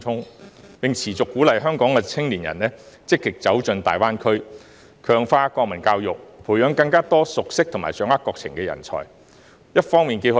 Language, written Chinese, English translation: Cantonese, 特區政府亦應持續鼓勵香港青年積極走進大灣區，強化國民教育，培養更多熟悉和掌握國情的人才。, The SAR Government should also continue to encourage Hong Kong young people to take active steps into GBA step up national education efforts and nurture more talents with good knowledge and understanding of the national developments